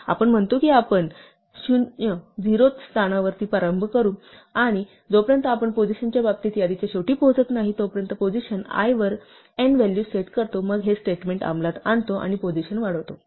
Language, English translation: Marathi, We say we start at the 0th position; and so long as we have not reach the end of the list in terms of positions, we set n to be the value at position i then we execute this statement and we increment position